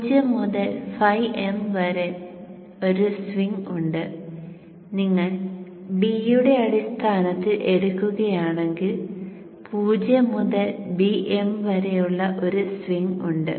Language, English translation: Malayalam, So there is a swing of 0 to 5m and if you take in terms of b there is a swing of 0 to bm